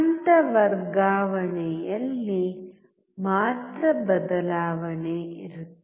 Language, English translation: Kannada, Only there will be change in the phase shifts